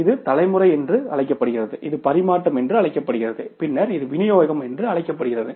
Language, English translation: Tamil, This is called as the generation, this is called as the transmission and then it is called as the distribution